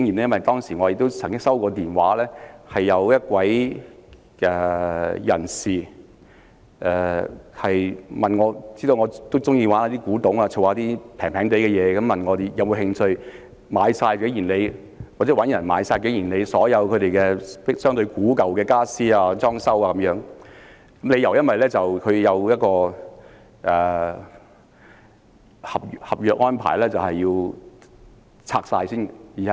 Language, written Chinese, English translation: Cantonese, 因為當時有一位知道我喜歡古董及收藏便宜東西的人打電話給我，問我或我所認識的人會否有興趣購買景賢里所有相對古舊的傢俬及裝置等，因為根據合約安排該處需要清拆。, At that time a person who knew that I loved antiques and loved collecting inexpensive items phoned me and asked whether I or anyone I knew would be interested in buying all the aged furniture and fittings of King Yin Lei . That was because the place had to be demolished according to the contract